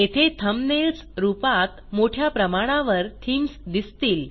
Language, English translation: Marathi, We see a large number of themes here as thumbnails